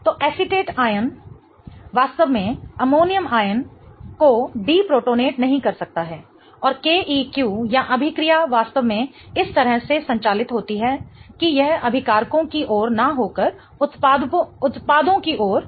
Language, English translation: Hindi, So, an acetate ion really cannot deprotonator and ammonium ion and the KQ or the reaction is really driven such that it is driven towards the reactants and not towards the products